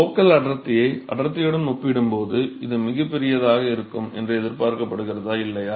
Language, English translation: Tamil, Is it expected to be very large compared to the density the local density or not